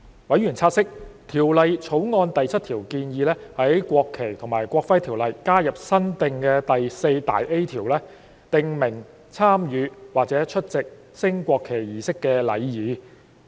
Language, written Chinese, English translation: Cantonese, 委員察悉，《條例草案》第7條建議在《國旗及國徽條例》加入新訂第 4A 條，訂明參與或出席升國旗儀式的禮儀。, As members have noted clause 7 of the Bill proposes to add a new section 4A to NFNEO to provide for the etiquette for taking part in or attending a national flag raising ceremony